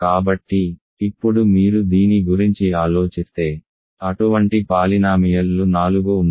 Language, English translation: Telugu, So, now if you think about this, there are four such polynomials